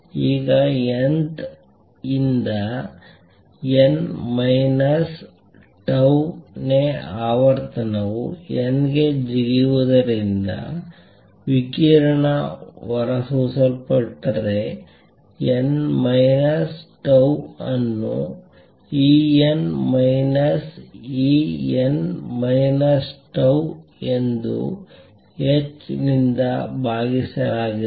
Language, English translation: Kannada, Now if a radiation is emitted due to jump from nth to n minus tau th level the frequency nu n, n minus tau is given as E n minus E n minus tau divided by h